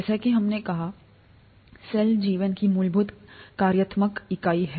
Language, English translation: Hindi, ” As we said, cell is the fundamental functional unit of life